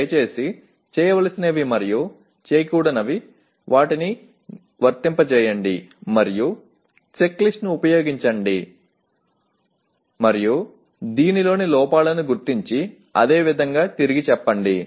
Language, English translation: Telugu, Please apply the do’s and don’ts and use the checklist and try to identify the errors in this and reword the same